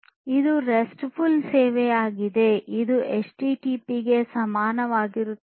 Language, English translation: Kannada, So, you know it is a restful service which is equivalent of the HTTP